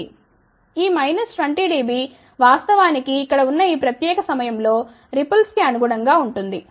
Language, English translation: Telugu, This minus 20 dB actually speaking corresponds to the ripple at this particular point over here, ok